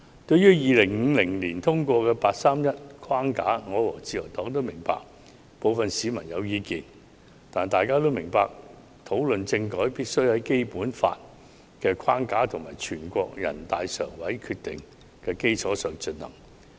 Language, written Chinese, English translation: Cantonese, 對於2015年通過的"八三一框架"，我和自由黨均明白部分市民有意見，但大家要明白，討論政改必須在《基本法》的框架和全國人民代表大會常務委員會的決定的基礎上進行。, Regarding the framework of the 831 Decision adopted in 2014 the Liberal Party and I understand the views of a sector of society . However we should understand that constitutional reform is to be discussed within the framework of the Basic Law and based on the Decision of the Standing Committee of the National Peoples Congress